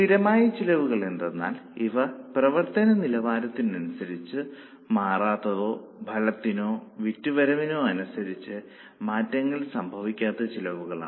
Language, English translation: Malayalam, These are the costs which do not change with level of activity or do not change with output or with the turnover